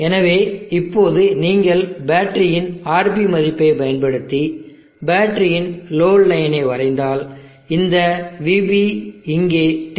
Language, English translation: Tamil, So now if you draw a load line of the battery using its RV value this VB here is 10